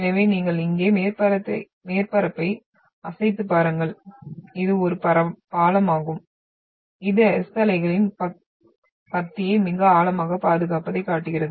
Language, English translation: Tamil, So waved up surface if you take here, this is a bridge which shows a very beautiful preservation of the passage of the S wave here